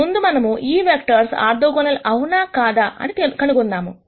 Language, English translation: Telugu, Let us rst nd out whether these 2 vectors are orthogonal